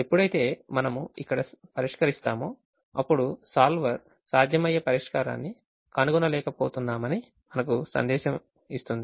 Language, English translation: Telugu, when we solve here we will get a message that solver could not find a feasible solution